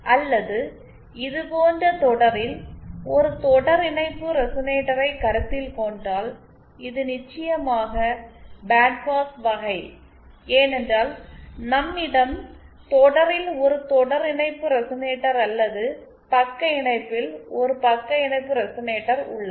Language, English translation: Tamil, Or say, if we consider a series resonator in series like this, so this is the band pass case of course because we have either a series resonator in series or a shunt resonator in shunt